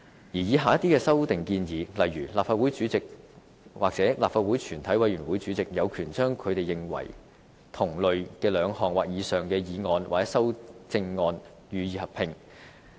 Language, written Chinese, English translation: Cantonese, 此外，以下的一些修訂建議，例如立法會主席或立法會全體委員會主席，有權把他們認為同類或兩項的議案或修正案予以合併。, Here are some examples of proposed amendments to RoP . The President or the Chairman of a committee of the whole Council shall have the power to direct two motions or amendments considered by him to be cognate to be combined